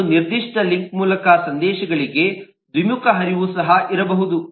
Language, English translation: Kannada, but there could also be bidirectional flow of messages over a particular link